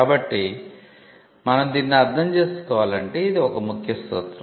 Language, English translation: Telugu, So, this is a key principle to understand